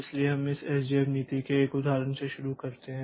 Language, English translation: Hindi, So, we start with an example of this SJF policy